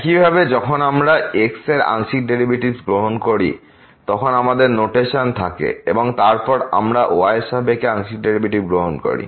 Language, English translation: Bengali, Similarly, we have the notation when we take the partial derivative of and then we are taking the partial derivative with respect to